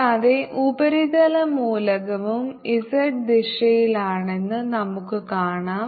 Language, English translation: Malayalam, so we can see this surface element moving along with y direction